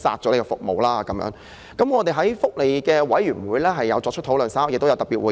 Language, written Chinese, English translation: Cantonese, 我們已在福利事務委員會會議上作出討論，稍後亦會召開特別會議。, We have discussed this at the meeting of the Panel on Welfare Services and a special meeting will be held later